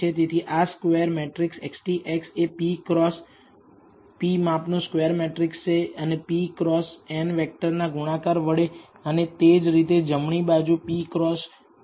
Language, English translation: Gujarati, So, this is square matrix X transpose X is a square matrix of size p cross p and multiplied by the p cross n vector and similarly it is p cross 1 on the right hand side